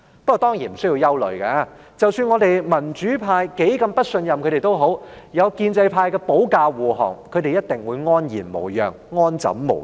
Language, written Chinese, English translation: Cantonese, 不過，當然無須憂慮，即使我們民主派多麼不信任他們，有建制派保駕護航，他們一定會安然無恙、安枕無憂。, But of course there is no cause for worry . No matter how distrustful they are to us in the pro - democracy camp so long as there is the pro - establishment camp to act as convoy they will definitely remain unharmed and free of all worries